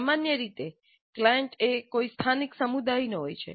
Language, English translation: Gujarati, Usually the client is someone from a local community